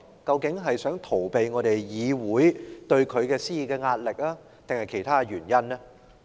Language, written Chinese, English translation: Cantonese, 究竟他是想逃避議會對他施加的壓力，還是另有原因呢？, Does he wish to get away from the pressure exerted on him by the Council or is there any other reason?